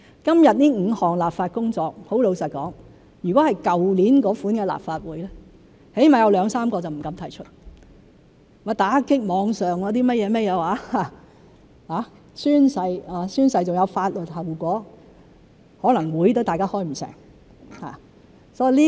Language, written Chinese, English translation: Cantonese, 今天這5項立法工作，坦白說，如果是在去年的立法會，至少有兩三個不敢提出——打擊網上"起底"、宣誓而且有法律後果——可能大家會議也開不成。, Regarding the five legislative tasks laid out today to be frank if we were in the kind of the Legislative Council last year we would not dare to bring up at least two or three of them―combating online doxxing activities stipulating oath - taking requirements with legal consequences―otherwise we may not even be able to hold the meeting